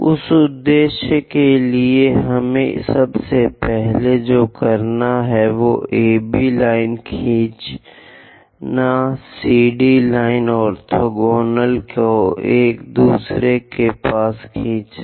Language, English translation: Hindi, For that purpose, what we have to do is, first of all, draw AB line, draw CD line orthogonal to each other